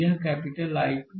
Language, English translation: Hindi, This is capital I 2